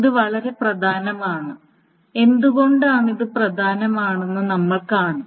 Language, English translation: Malayalam, So, this is very important, and we will see why this is important